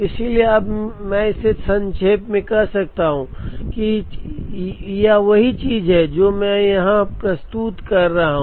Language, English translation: Hindi, So now, I can summarize it and say that, the same thing I am representing here